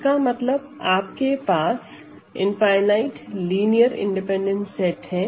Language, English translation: Hindi, That means, you have, a you have an infinite linear independent set